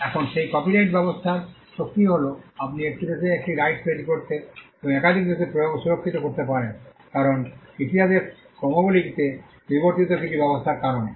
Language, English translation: Bengali, Now, that is the power of the copyright regime you can have a right created in one country and enforced and protected in multiple countries because of certain mechanisms that evolved in the course of history